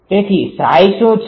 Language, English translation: Gujarati, So, what is psi